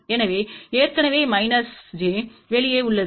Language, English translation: Tamil, So, already minus j is out there